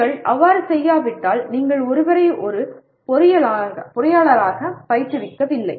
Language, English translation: Tamil, If you do not, you are not training somebody as an engineer